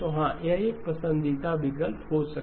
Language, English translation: Hindi, So yes, this would be a preferred option